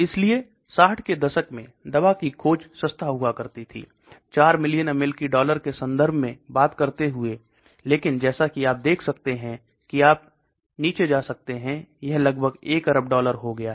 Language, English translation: Hindi, So in the 60s drug discovery used to be cheaper, talking in terms of 4 million US dollars, but as you can see you can go down it has become almost a billion dollar